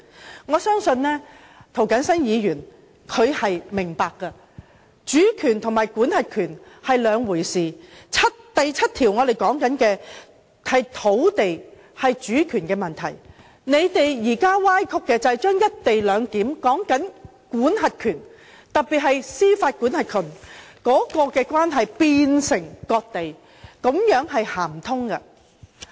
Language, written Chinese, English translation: Cantonese, 就此，我相信涂謹申議員是明白的，主權和管轄權是兩回事，第七條所說的是土地和主權問題，他們現時所歪曲的，就是想把"一地兩檢"的管轄權，特別是把司法管轄權的關係變為割地，這是說不通的。, Sovereignty and the right to administer are two different matters . Article 7 talks about the land and the right to administer the land . They now try to distort this fact and say that giving up the right to administer in the co - location arrangement especially the judicial right is tantamount to ceding the land to the Mainland